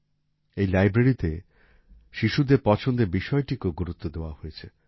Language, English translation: Bengali, In this library, the choice of the children has also been taken full care of